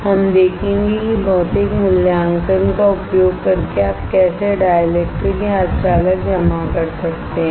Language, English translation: Hindi, We will see how you can deposit dielectrics or semiconductors right using physical evaluation